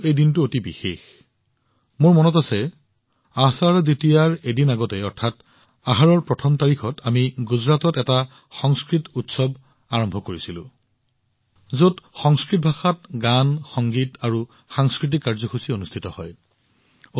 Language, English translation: Assamese, For me this day is also very special I remember, a day before Ashadha Dwitiya, that is, on the first Tithi of Ashadha, we started a Sanskrit festival in Gujarat, which comprises songs, music and cultural programs in Sanskrit language